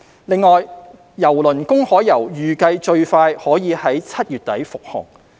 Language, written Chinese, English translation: Cantonese, 另外，郵輪"公海遊"預計最快可在7月底復航。, In addition cruise - to - nowhere itineraries are expected to resume at the end of July at the earliest